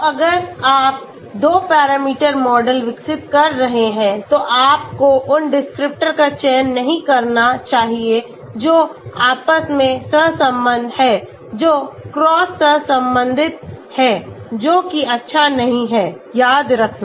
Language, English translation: Hindi, So if you are developing a 2 parameter model, you should not select those descriptors which are correlated amongst themselves that is cross correlated, which is not good remember that